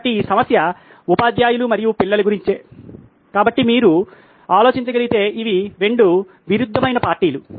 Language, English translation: Telugu, So this problem is about teachers and children, so these are the 2 conflicting parties if you can think of that